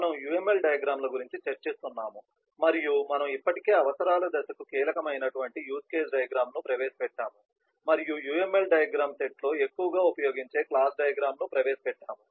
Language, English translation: Telugu, we have been discussing about uml diagrams and we have already introduced the use case diagram, which is critical for the requirement is and we have introduced the class diagram, which is the most used structural diagram in the uml diagram set